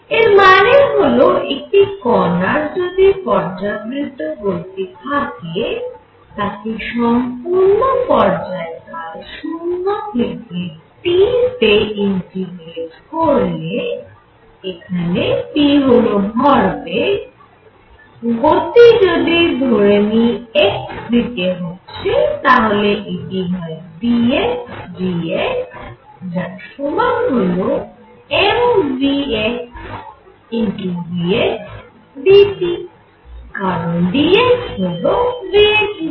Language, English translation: Bengali, So, what it means, if a particle is performing periodic motion then integrate over the entire period from 0 to T p is momentum suppose p performing periodic motion in x directions they take p x dx which will also be the same as m v x v x dt, because this quantity dx is nothing but v x dt